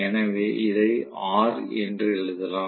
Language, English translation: Tamil, So, I can say maybe let me write this as R